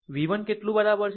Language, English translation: Gujarati, V 1 is equal to how much